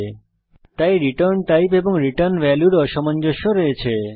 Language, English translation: Bengali, So, there is a mismatch in return type and return value